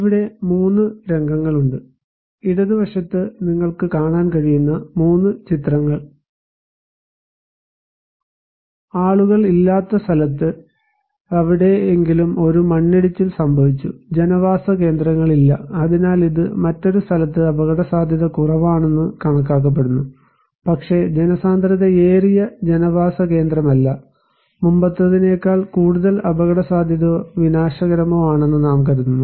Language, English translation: Malayalam, So, here are 3 scenarios; 3 pictures you can see in the left hand side; a landslide happened somewhere where no people are there, no settlements are there so, this is considered to be less risky in another place there are people but not that densely populated settlement, we consider to be more risky or more disastrous than the previous one